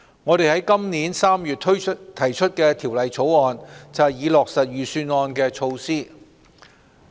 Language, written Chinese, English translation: Cantonese, 我們於今年3月提出《條例草案》，以落實財政預算案措施。, We introduced the Bill in March this year in order to implement the Budget measures